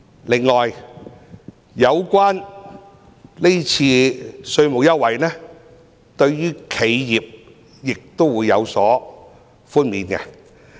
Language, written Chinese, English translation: Cantonese, 此外，是次稅務優惠對企業亦有寬免。, Besides enterprises also have tax concession